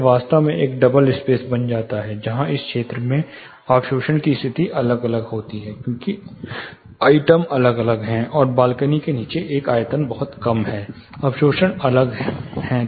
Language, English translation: Hindi, This actually becomes a double space where the absorption condition in this place, in this zone are different, because the volume is different plus the one below balcony, the volume is pretty less, the absorptions are different